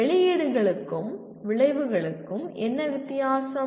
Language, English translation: Tamil, What is the difference between outputs and outcomes